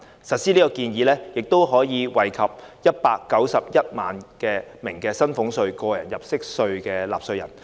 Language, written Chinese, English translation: Cantonese, 實施這項建議可惠及191萬名薪俸稅和個人入息課稅的納稅人。, This proposal once implemented will benefit 1.91 million taxpayers of salaries tax and tax under personal assessment